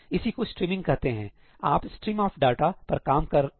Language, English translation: Hindi, So, that is called streaming, you are working on a stream of data